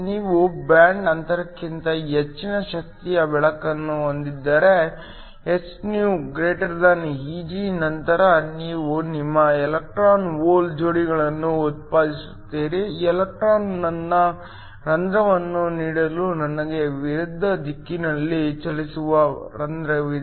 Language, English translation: Kannada, If you have light of energy greater than the band gap, so hυ > Eg then you will generate your electron hole pairs, electron I have a hole which will travel in opposite directions in order to give me my current